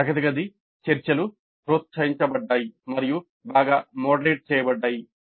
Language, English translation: Telugu, Classroom discussions were encouraged and were well moderated